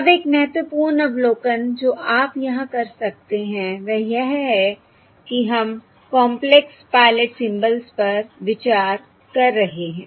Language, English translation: Hindi, Now, one important observation that you can make here is that were considering complex pilot symbols